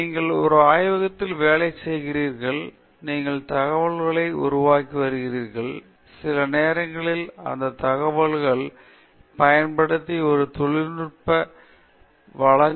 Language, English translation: Tamil, You are working in a lab, you are generating data, and sometimes you make a technical presentation using that data, sometimes you publish it a journal